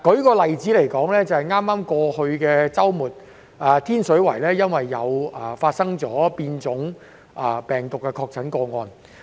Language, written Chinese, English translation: Cantonese, 舉例而言，在剛剛過去的周末，天水圍出現了變種病毒確診個案。, For instance on the weekend which has just passed a confirmed case with the mutant strain of COVID - 19 was found in Tin Shui Wai